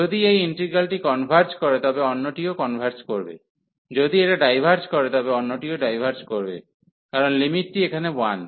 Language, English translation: Bengali, If this integral of converges, the other one will also converge; if this diverges, other one will also diverge because of this limit is one here